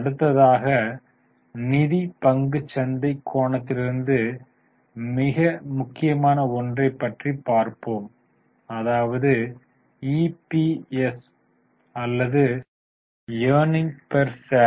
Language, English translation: Tamil, The next is very important figure from financial stock market angle that is EPS or earning per share